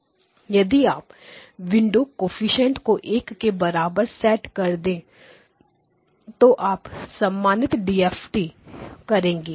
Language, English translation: Hindi, If you set all the window coefficients to be equal to 1 then you get your normal DFT